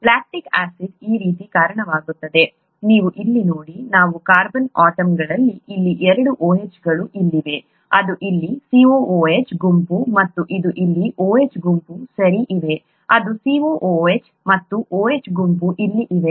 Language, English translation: Kannada, This is how lactic acid looks like, you see here these are the carbon atoms, here there are two OHs here, this is a COOH group here and this is an OH group here, okay, there are, this is a COOH and a OH group here